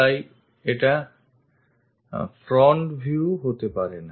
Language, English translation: Bengali, So, that can also not be a front view